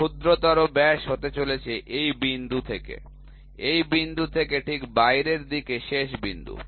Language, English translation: Bengali, Minor diameter is going to be from this point, right from this point to the out to the outside